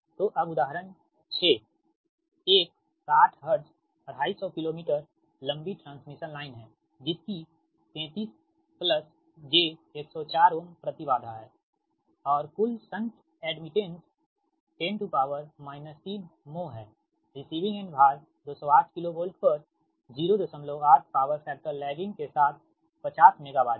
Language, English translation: Hindi, so a six a sixty hertz, two fifty kilo meter long transmission line has an impedance of thirty three plus j, one hundred four ohm and a total shunt admittance of ten to the power minus three mho